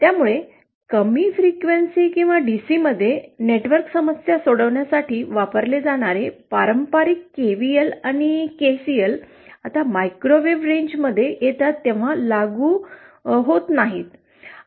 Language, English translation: Marathi, So the traditional KCl and KCL that we often use for solving network problems at low frequency or DC are no longer applicable when we come to the microwave range of signals